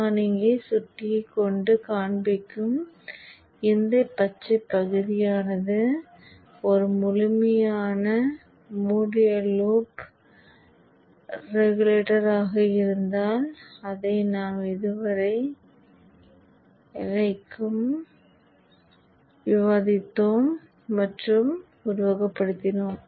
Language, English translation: Tamil, So this portion, this green portion which I am showing here with the mouse is a full fledged closed loop buck regulator that we discussed till now and even simulated